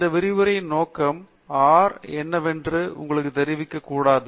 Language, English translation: Tamil, The purpose of this lecture is not to show you what R is about and so on